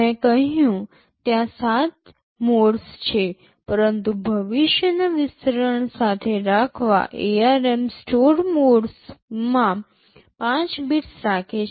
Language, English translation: Gujarati, I said there are 7 modes, but to keep with future expansion ARM keeps 5 bits to store mode